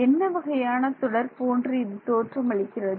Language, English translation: Tamil, What kind of series does it look like